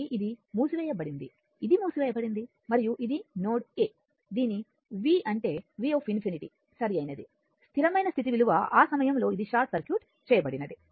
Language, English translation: Telugu, So, this is closed this is closed and and this this is your node a, this v means your v infinity right the steady state value at that time this this one it is short circuited right